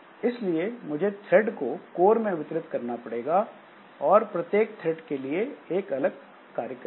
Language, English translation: Hindi, So, distributing threads across cores, each thread performing some unique operation